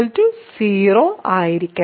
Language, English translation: Malayalam, So, r must be 0